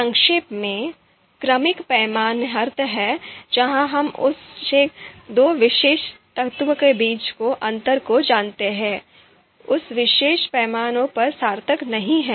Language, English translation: Hindi, Briefly, ordinal scale means where we are just looking at the order and the difference you know between two particular elements is actually not meaningful you know in that particular scale